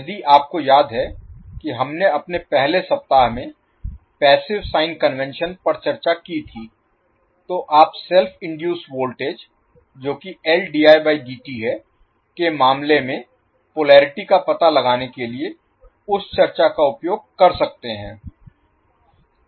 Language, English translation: Hindi, If you remember we discussed the passive sign convention in our first week you can use that discussion to find out the polarity in case of you have self induced voltage that is L dI by dt